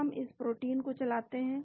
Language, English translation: Hindi, We run this protein now